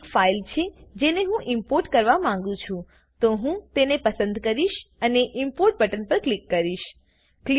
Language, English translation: Gujarati, This is the file that I want to import so I will select it and click on the Import button